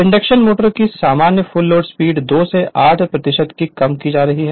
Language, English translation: Hindi, The normal full load slip of the induction motor is of the order of 2 to 8 percent